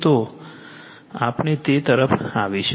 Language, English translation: Gujarati, So, , we will come back to this